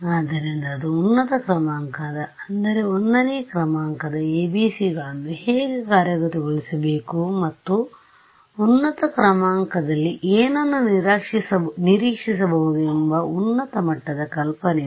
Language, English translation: Kannada, So, that concludes our discussions of higher order I mean how to implement 1st order ABCs and just high level idea of what to expect in a higher order